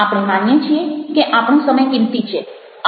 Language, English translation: Gujarati, we believe that our time is precious